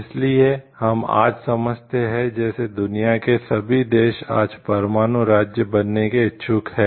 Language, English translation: Hindi, So, like we understand today like all the countries of the world are aspiring to be nuclear states today